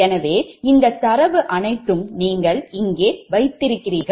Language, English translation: Tamil, so put here right, all this data you put here